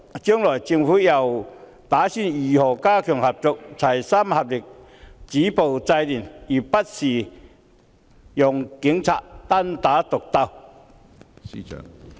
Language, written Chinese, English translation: Cantonese, 將來政府打算如何加強合作，齊心合力，止暴制亂，而不是讓警察單打獨鬥？, What does the Government plan to do to enhance cooperation so that concerted efforts can be made to stop violence and curb disorder rather than just leaving the Police Force to fight a lone battle?